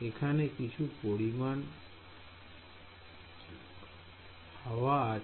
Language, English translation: Bengali, There is some amount of air